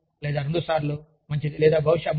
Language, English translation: Telugu, Once or twice, is fine